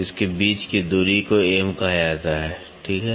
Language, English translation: Hindi, So, the distance between this to this is called as M, ok